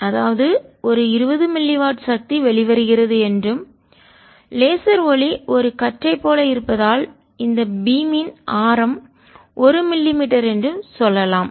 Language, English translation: Tamil, a twenty mini watt power is coming out and since laser light is go as a beam, let us say the radios of this beam is one millimeter